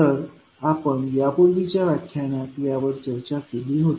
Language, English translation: Marathi, So, this we discussed the previous class